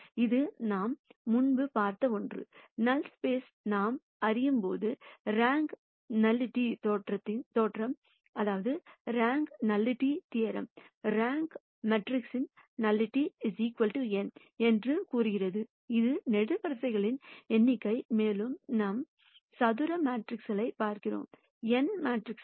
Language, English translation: Tamil, This is something that we have seen before, while we de ne the null space and we also know that the rank nullity theorem says the rank of the matrix plus nullity equals n which is the number of columns, we are looking at square matrices n by n matrices